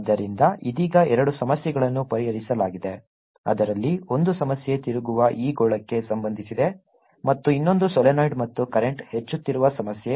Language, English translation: Kannada, one of the problems was related to this sphere which is rotating, and the other problem where there's a solenoid and the current is increasing